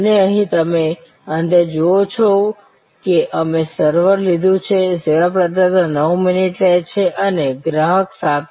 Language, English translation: Gujarati, And here as you see at the end we have taken the server, the service provider is taking 9 minutes and the customer is in the process for 7